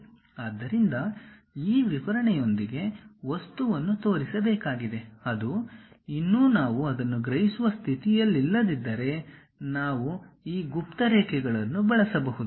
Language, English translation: Kannada, So, the object has to be shown with most of this description; if that is we are still in not in a position to really sense that, then we can use these hidden lines